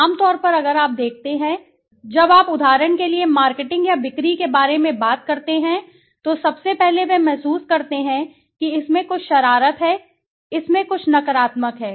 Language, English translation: Hindi, Generally if you see, generally when you talk about marketing or sales for example people first of all they feel that there is something mischief in it, there is something negative in it